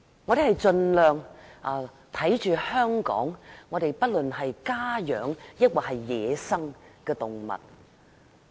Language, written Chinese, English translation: Cantonese, 我們盡量保護香港家養或野生的動物。, We strive to protect domesticated animals and animals in the wild